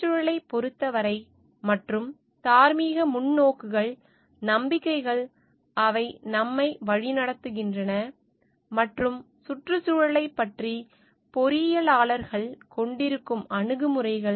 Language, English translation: Tamil, And concerning the environment, and the moral perspectives, the believes, which are guiding us and attitudes that engineers have towards the environment